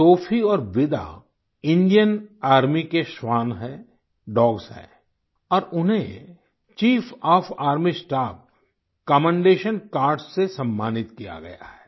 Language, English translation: Hindi, Sophie and Vida are the dogs of the Indian Army who have been awarded the Chief of Army Staff 'Commendation Cards'